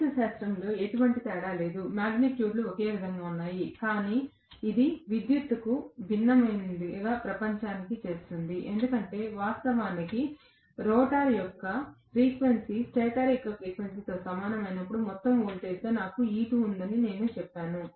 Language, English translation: Telugu, There is no difference mathematically, the magnitudes are the same, but it makes a world of different electrically, because originally I said that when the frequency of the rotor, was same as that of stator frequency, I had E2 as the overall voltage